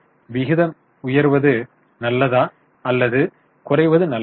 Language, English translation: Tamil, Higher is good or lower is good